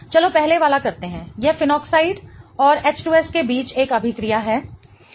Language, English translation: Hindi, It is a reaction between phenoxide and H2S